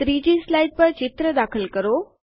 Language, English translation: Gujarati, Insert a picture on the 3rd slide